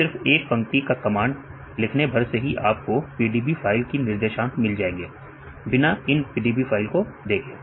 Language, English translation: Hindi, It just if you are writing one line command right we can get only the coordinates in the PDB file without looking into these PDB file